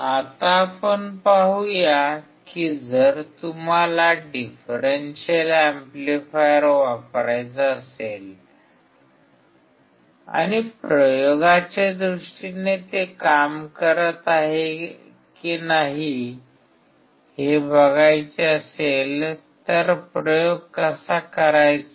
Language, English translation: Marathi, Now, let us see that if you want to use the differential amplifier and you want to see whether it is working or not in case in terms of experiment, how to perform the experiment